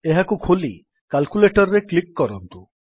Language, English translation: Odia, Lets open this, click on Calculator